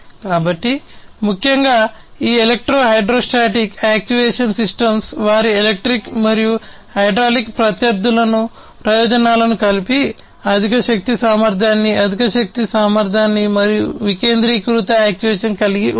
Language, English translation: Telugu, So, essentially these electro hydrostatic actuation systems by combining the advantages of their electric and hydraulic counterparts together can have higher force capability, higher energy efficiency and decentralized actuation